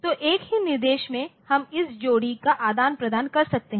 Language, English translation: Hindi, So, in a single instruction we are exchanging this pair